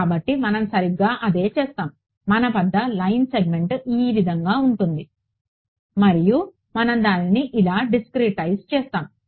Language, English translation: Telugu, So, that is exactly what will do we have a line segment language like this and we discretize it like this